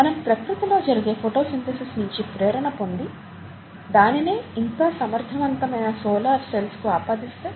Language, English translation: Telugu, So can we get inspiration from the way photosynthesis is done in nature, and translate it to more efficient solar cells